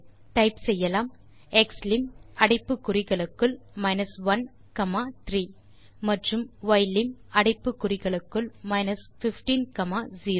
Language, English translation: Tamil, So in the command we can type xlim within brackets 1 comma 3 and ylim within brackets 15 comma 0